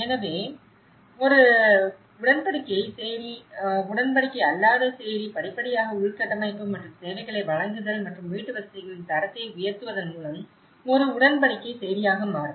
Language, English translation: Tamil, So, a tenure slum, non tenure slum gradually becomes a tenure slum with the provision of infrastructure and services and up gradation of the quality of the housing